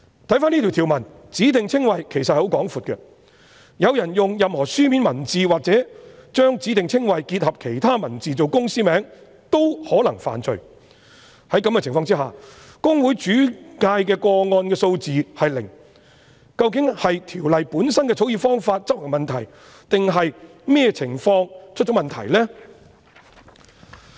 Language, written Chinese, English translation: Cantonese, 根據這項條文，"指定稱謂"涵義其實十分廣闊，有人用任何書面文字或將指定稱謂結合其他文字來作為公司名稱均可能犯罪，在這種情況下，公會轉介的個案數字是零，究竟是《條例》本身的草擬方法有問題，或是執行的問題，或是哪裏出現問題？, According to this provision the scope of specified descriptions is actually very broad . Anyone who uses any written words or combine a specified description with other words to form the name of a company may be guilty of an offence . Under the circumstances HKICPA has still made no referrals at all